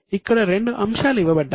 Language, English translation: Telugu, There are two items given here